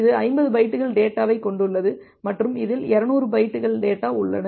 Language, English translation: Tamil, This contains 50 bytes of data and this contains 200 bytes of data